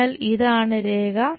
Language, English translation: Malayalam, So, this is the line